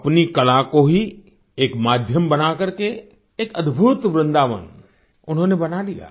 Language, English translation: Hindi, Making her art a medium, she set up a marvelous Vrindavan